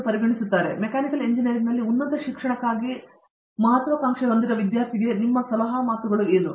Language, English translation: Kannada, So, what is your, what are your words of advice for an aspiring student in for higher education in Mechanical Engineering